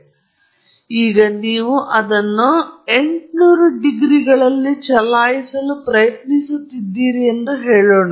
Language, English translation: Kannada, So, now, let’s say you are trying to run this at 800 degrees C